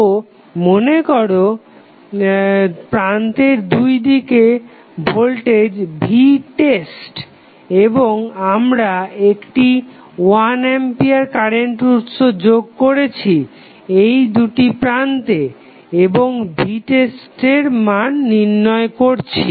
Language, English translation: Bengali, So, let us say the voltage across terminal is V test and we apply 1 ampere current source across these 2 terminals and find out the value of V test